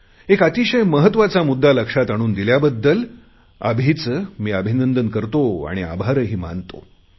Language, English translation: Marathi, I greet Abhi and thank him for reminding me of this very important thing